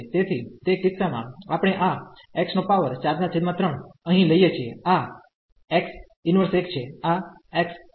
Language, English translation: Gujarati, So, in that case we take this x power 4 by 3 here out, this is x power minus 1 this x